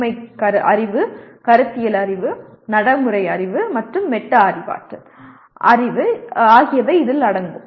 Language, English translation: Tamil, These include Factual Knowledge, Conceptual Knowledge, Procedural Knowledge, and Metacognitive Knowledge